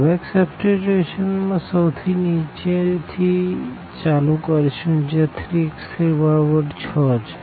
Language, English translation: Gujarati, So, back substitution we will start from the bottom here where the 3 is equal to 6